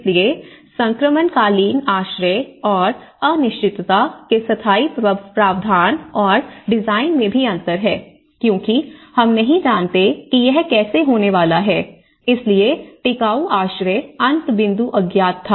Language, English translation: Hindi, So, also there is a disconnect between the transitional shelter and the permanent provision and design of uncertainty because we are not sure how this is going to turn out, so the durable shelter end point was unknown